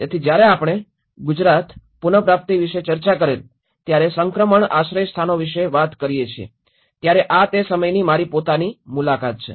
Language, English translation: Gujarati, So, when we talk about the transition shelters we did discussed about the Gujarat recovery, this is own, my own visits during that time